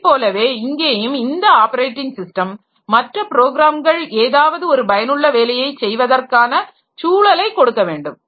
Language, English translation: Tamil, So, similarly here also the operating system is providing an environment in which other programs can do some useful work